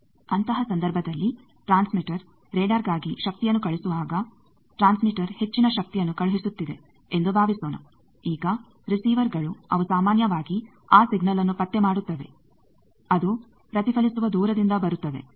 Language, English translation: Kannada, In that case, when the transmitter is sending power for radar, suppose a transmitter is sending high power now receivers they are generally will detect that signal which will be going coming from a long distance reflected